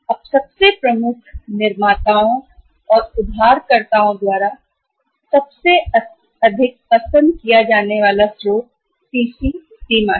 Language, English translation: Hindi, Now most prominent, most light preferred source for the manufacturer or for the borrower is the CC limit